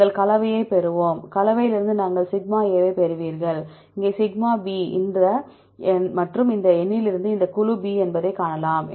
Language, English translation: Tamil, We will get the composition, from the composition you will get the σ here, σ and from this number we can see this is group B